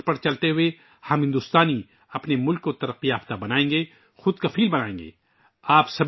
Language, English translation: Urdu, Adhering to this mantra, we Indians will make our country developed and selfreliant